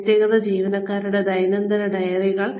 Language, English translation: Malayalam, Individual employee daily diaries